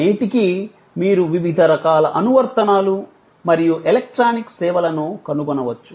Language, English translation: Telugu, Even, that you can find today to various kinds of application and electronic services